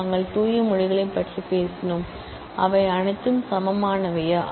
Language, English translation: Tamil, We have talked about the pure languages, are they are all equivalent